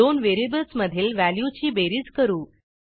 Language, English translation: Marathi, Now let us add the values in the two variables